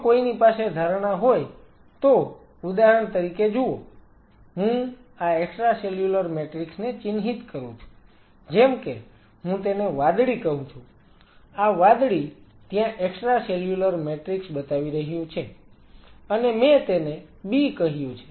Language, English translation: Gujarati, If one has a hypothesis saying that the see for example, I mark this extra cellular matrix as say I call this as blue; this blue is showing the extra cellular matrix and I called it has B